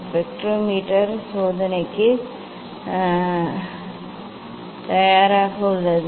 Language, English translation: Tamil, spectrometer is ready for the experiment